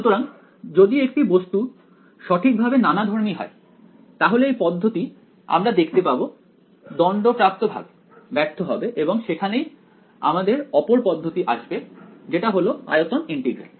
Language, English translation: Bengali, So, for an object is truly heterogeneous then this approach we can see its doomed to fail that is where this other approach comes which is volume integral